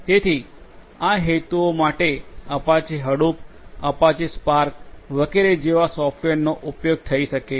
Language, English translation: Gujarati, So, software such as Apache Hadoop, Apache Spark etc